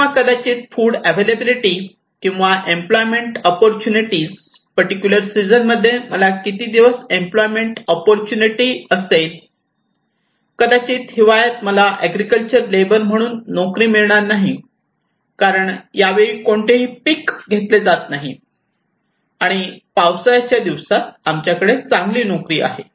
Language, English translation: Marathi, Or maybe the food availability or employment opportunity, how many days I have employment opportunity in a particular season, maybe in winter I do not have any job in as agricultural labor because nobody is harvesting this time and we have better job during rainy days